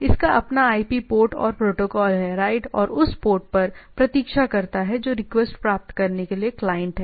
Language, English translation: Hindi, So, it its own IP own port and the protocol right and wait on that port that is client to get the request